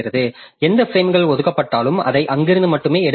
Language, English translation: Tamil, So, whatever frames are allocated, so it will try to take it from there only